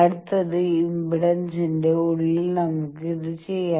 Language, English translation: Malayalam, The next, let us do this that inside of impedance